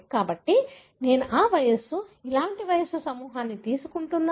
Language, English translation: Telugu, So, I am taking age, similar age group